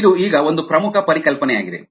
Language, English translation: Kannada, ok, this is an important concept now